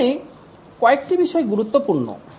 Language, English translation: Bengali, There are few things which are important here